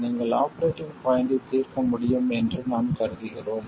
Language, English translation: Tamil, We will assume that you will be able to solve for the operating point